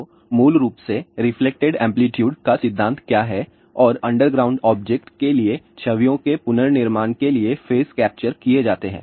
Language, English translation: Hindi, So, basically what the principle is that reflected amplitude and phase are captured for reconstruction of images for underground object